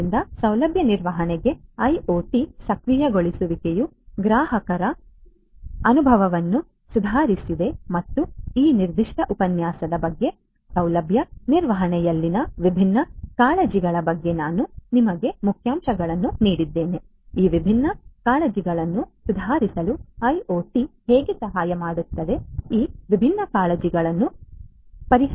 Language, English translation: Kannada, So, IoT enablement for facility management improved customer experience and so on this is what this particular lecture concerned about, I have told you about the different I have given you highlights about the different concerns in facility management, how IoT can help in improving these different concerns, addressing these different concerns and so on